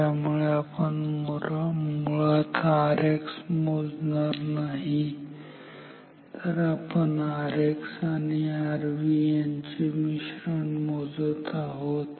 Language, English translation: Marathi, So, what we are actually measuring is not R X, but the parallel combination of R X and R V